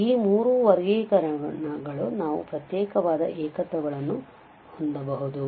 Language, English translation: Kannada, So, these three classification we can have for the isolated singularities